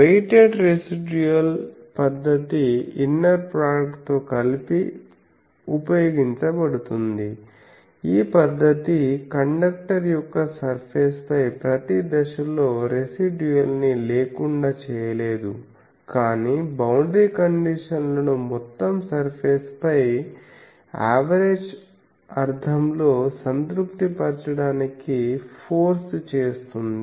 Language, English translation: Telugu, So, the method of weighted residuals is utilized in conjunction with the inner product this technique does not lead to a vanishing residual at every point on the surface of a conductor, but forces the boundary conditions to be satisfied in an average sense over the entire surface